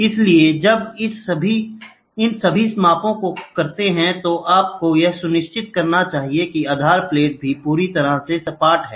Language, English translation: Hindi, So, when you do all these measurements, you should make sure the base plate is also perfectly flat